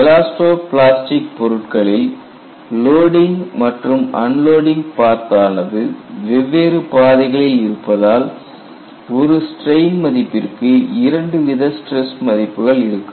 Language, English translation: Tamil, You have to keep in mind, in elasto plastic, loading and unloading paths are different; for one strain value, two stress values exist